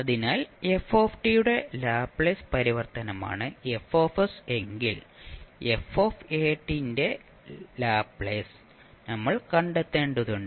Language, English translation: Malayalam, So if fs is the Laplace transform of ft, then for Laplace of f of at, we need to find out